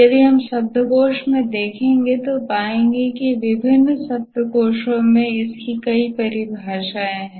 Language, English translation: Hindi, If we look up in the dictionary, we'll find there are many definitions in different dictionaries